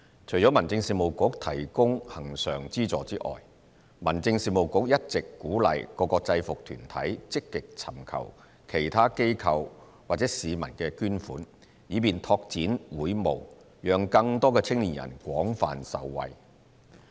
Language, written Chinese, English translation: Cantonese, 除了民政事務局提供恆常資助外，民政事務局一直鼓勵各個制服團體積極尋求其他機構或市民的捐款，以便拓展會務，讓更多青年人廣泛受惠。, In addition to recurrent subvention from the Home Affairs Bureau UGs are also encouraged to proactively seek donations from other bodies or the general public for expanding their services and enabling further benefits to more young people